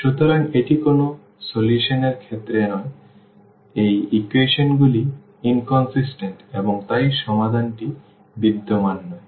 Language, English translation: Bengali, So, this is the case of no solution and the equations are inconsistent and hence the solution does not exist